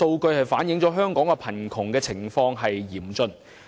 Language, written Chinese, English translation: Cantonese, 這反映出香港貧窮情況嚴重。, This reflects the severe poverty situation in Hong Kong